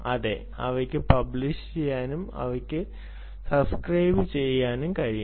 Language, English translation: Malayalam, they can be publishing and they can also subscribe